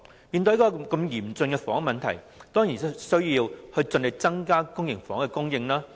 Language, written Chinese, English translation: Cantonese, 面對這麼嚴峻的房屋問題，政府當然有需要盡力增加公營房屋供應。, In the face of a severe housing problem the Government certainly needs to make all - out effort to increase housing supply